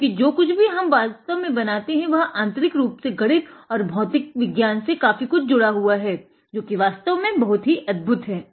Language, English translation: Hindi, Because then you will understand that whatever we make practically is inherently tied to a lot of mathematics and physics which is very wonderful